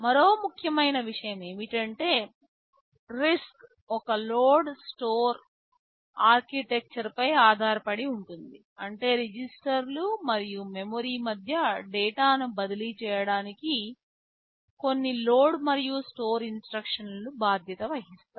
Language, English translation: Telugu, And another important thing is that RISC is based on a load/ store architecture, which means there are some load and store instructions load and store these instructions are responsible for transferring data between registers and memory